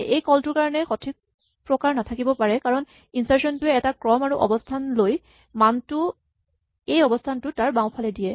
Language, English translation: Assamese, This call would not have the correct type because insert will take a sequence and a position and insert this value at this position to its left